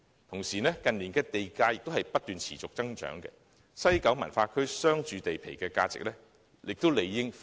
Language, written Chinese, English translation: Cantonese, 同時，近年地價不斷持續增長，西九文化區商住地皮的價值理應亦已倍升。, Meanwhile in view of the continual growth in premium in recent years the value of the commercialresidential sites of WKCD should have already multiplied